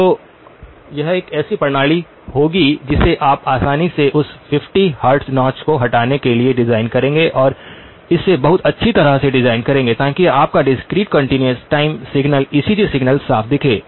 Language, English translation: Hindi, So this would be a system that you would easily design for a removal of that 50 hertz notch and design it very nicely, so that your discrete continuous time signal ECG signal looks clean